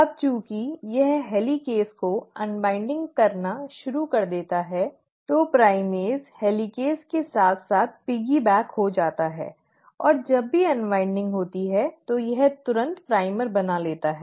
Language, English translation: Hindi, Now, as it started unwinding the helicase, the primase kind of piggybacks itself along with the helicase, and as and when there is unwinding happening, it can immediately form a primer